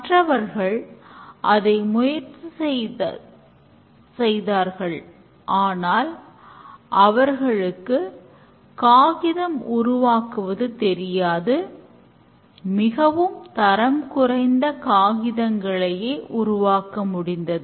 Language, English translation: Tamil, The others tried, they don't know how to make paper, possibly came up with some very bad quality paper